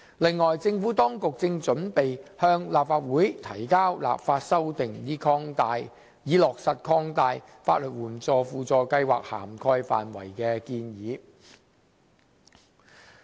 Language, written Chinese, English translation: Cantonese, 此外，政府當局正準備向立法會提交立法修訂，以落實擴大法律援助輔助計劃涵蓋範圍的建議。, Moreover the Administration is preparing to introduce the legislative amendments into the Legislative Council to implement the proposal on the expansion of the scope of SLAS